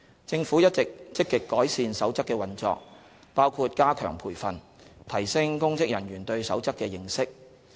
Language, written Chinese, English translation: Cantonese, 政府一直積極改善《守則》的運作，包括加強培訓，提升公職人員對《守則》的認識。, The Government has all along been actively enhancing the operation of the Code which includes strengthening training to enhance public officers understanding of the Code